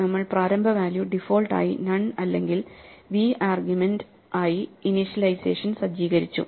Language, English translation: Malayalam, So, we start with this initial initialization which sets the initial value to be none by default or otherwise v as an argument provided